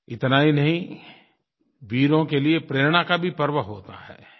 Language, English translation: Hindi, And not just that, it is a celebration of inspiration for brave hearts